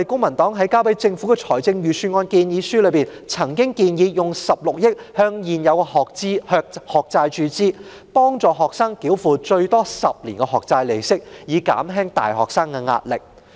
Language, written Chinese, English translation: Cantonese, 在提交予政府的財政預算案建議書中，公民黨曾建議動用16億元注資未償還學債，幫助學生繳付最多10年的學債利息，以減輕大學生的壓力。, In our submission to the Government on the Budget the Civic Party proposed injecting 1.6 billion into the unpaid student loan debts to help students pay the interest of their loans for 10 years at the maximum thereby relieving the pressure on university students